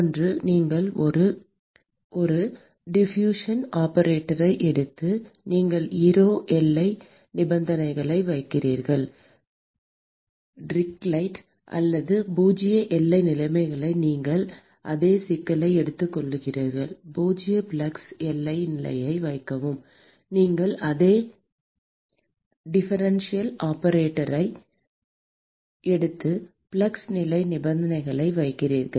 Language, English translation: Tamil, One is you take a diffusion operator and you put ero boundary conditions Dirichlet or zero boundary conditions; and you take the same problem, put zero flux boundary condition; and you take the same differential operator and put a flux boundary conditions